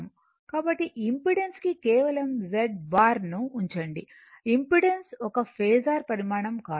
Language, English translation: Telugu, So, impedance I just put z bar, right , impedance is not a phasor quantity